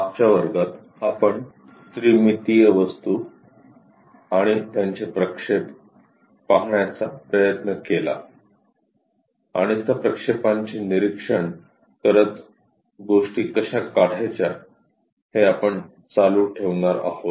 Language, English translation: Marathi, In the last classes, we try to look at three dimensional objects and their projections and we are going to continue that projections observing how to draw the things